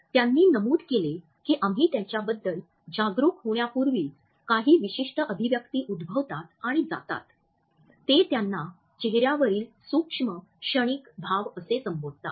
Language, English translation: Marathi, They noted that certain expressions occur and go even before we become conscious of them and they gave them the name micro momentary facial expressions